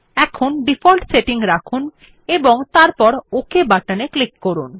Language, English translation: Bengali, So we keep the default settings and then click on the OK button